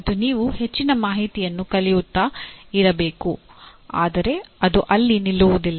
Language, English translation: Kannada, And you have to keep loading lot of information but it cannot stop there